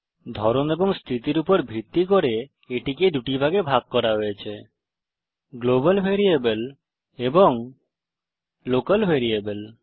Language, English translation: Bengali, Depending on its type and place of declaration it is divided into two categories: Global Variable amp Local Variable